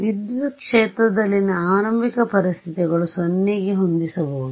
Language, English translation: Kannada, Initial conditions on the field I can set to 0